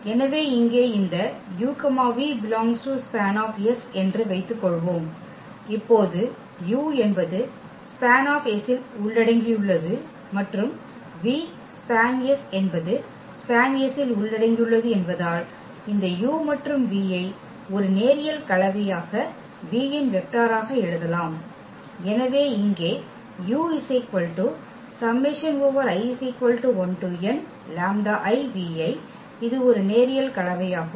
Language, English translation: Tamil, So, here let us suppose this u and v they belong to this span S and now because u belongs to the span S and v belongs to the span S so, we can write down this u and v as a linear combination of the vectors v’s